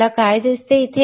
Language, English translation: Marathi, What do you see